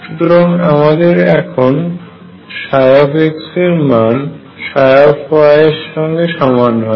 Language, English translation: Bengali, And take y to be equal to x plus 2 a